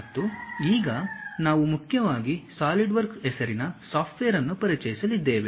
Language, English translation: Kannada, And now, we are going to introduce about a software, mainly named solidworks